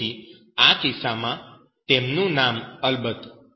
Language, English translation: Gujarati, So, In this case, his name of course